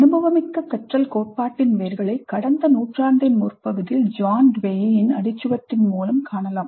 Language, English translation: Tamil, The roots of experiential learning theory can be traced to John Dewey all the way back to the early part of the last century